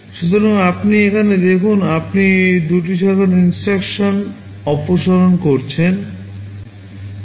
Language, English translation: Bengali, So, you see here you are eliminating two branch instructions